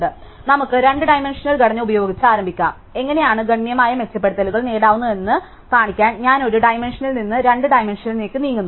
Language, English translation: Malayalam, So, let us start with a very naive two dimensional structure, just to show how we can get drastic improvements, just I moving from one dimension, two dimensions